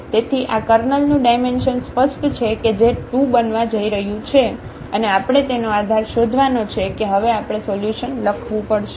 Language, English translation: Gujarati, So, the dimension of this Kernel is clear that is going to be 2 and we have to find the basis for that we have to write down solution now